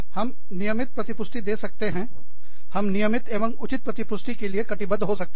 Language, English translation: Hindi, We can give, regular, we can make a commitment to giving, regular and appropriate feedback, regular feedback